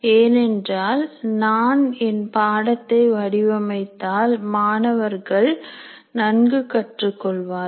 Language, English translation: Tamil, And if I design my course well, maybe my students will learn better